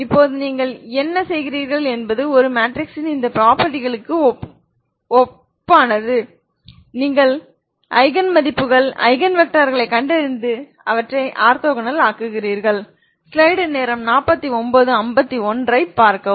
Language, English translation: Tamil, Differential Equation, now what you do is you analogous to these properties of a matrix you find the Eigen values Eigen vectors and make them orthogonal